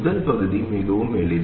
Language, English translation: Tamil, First part is very easy